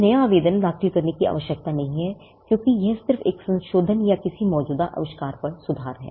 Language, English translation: Hindi, There is no need to file a fresh new application because, it is just a modification or an improvement over an existing invention